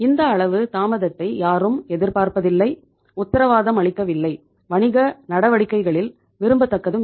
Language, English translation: Tamil, That much of the delay is also not expected, is not warranted, is not desirable in the business operations